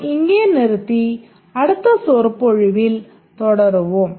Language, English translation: Tamil, We will stop here and continue in the next lecture